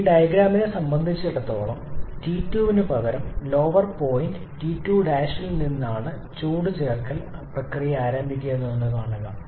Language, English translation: Malayalam, As for this diagram you can see that the heat addition process is also starting from a lower point T 2 Prime instead of T 2